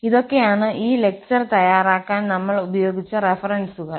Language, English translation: Malayalam, Well, so, these are the references which we have used for preparing this lecture